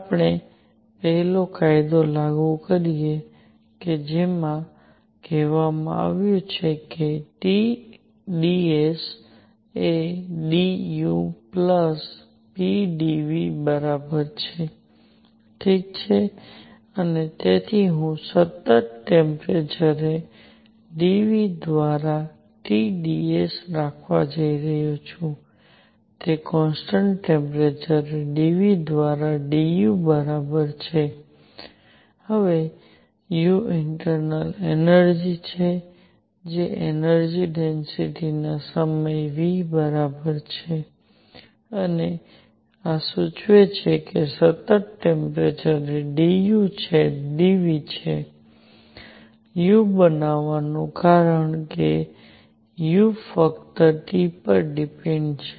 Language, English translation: Gujarati, We apply the first law which says T dS is equal to d U plus p d V, alright and therefore, I am going to have T dS by d V at constant temperature is equal to d U by d V at constant temperature plus p now U is the internal energy which is equal to the energy density times V and this implies that d U by d V at constant temperature is going to be U because U depends only on T